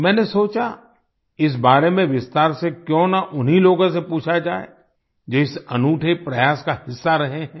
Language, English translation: Hindi, I thought, why not ask about this in detail from the very people who have been a part of this unique effort